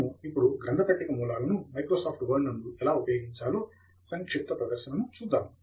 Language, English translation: Telugu, We will see a brief demo of Microsoft Word using bibliographic sources now